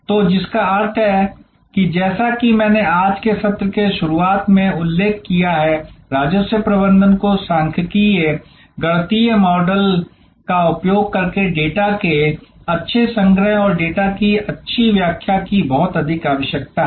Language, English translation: Hindi, So, which means as I mention right in the beginning of today’s session, revenue management needs lot of good data collection and good interpretation of the data using statistical mathematical models